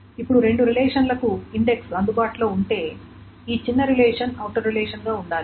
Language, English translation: Telugu, Now, if the index is available for both the relations, the smaller relation should be the outer relation